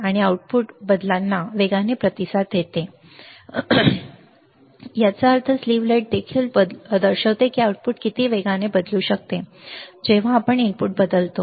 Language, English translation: Marathi, And output responds faster to the changes, that means, slew rate also shows that how fast the output can change ,when we change the input